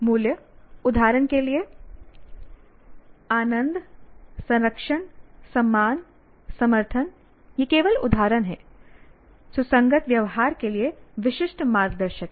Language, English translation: Hindi, Now values, for example, enjoying, conserving, respecting, respecting, these are examples only, serve as specific guides for consistent behavior